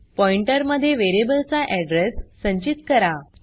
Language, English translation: Marathi, Store the address of variable in the pointer